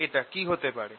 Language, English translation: Bengali, is this true